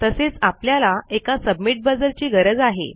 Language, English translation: Marathi, Were also going to need a submit buzzer